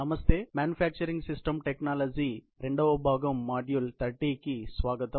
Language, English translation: Telugu, Hello and welcome to this manufacturing systems technology; part 2, module 30